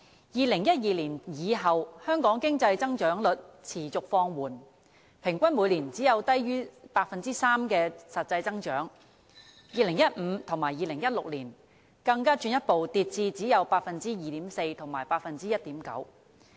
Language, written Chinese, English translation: Cantonese, 2012年以後，香港經濟增長率持續放緩，平均每年只有低於 3% 的實際增長 ，2015 年和2016年更進一步跌至只有 2.4% 和 1.9%。, The economic growth of Hong Kong has slackened consistently since 2012 with real growth averaging at less than 3 % annually and dropping in 2015 and 2016 to 2.4 % and 1.9 % respectively